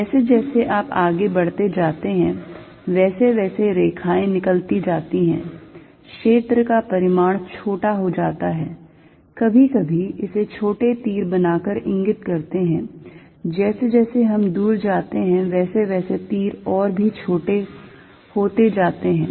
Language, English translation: Hindi, The lines are all going out as you go further away; a field magnitude becomes a smaller sometimes indicate it by making smaller arrows, we go further away arrows becoming even smaller